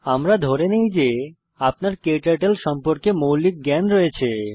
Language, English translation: Bengali, We assume that you have basic working knowledge of KTurtle